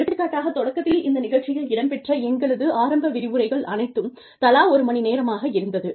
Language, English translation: Tamil, For example, the initial lectures, in this program are, one hour each